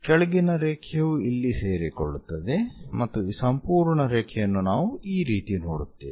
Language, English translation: Kannada, Bottom one coincides and we see this entire line as this one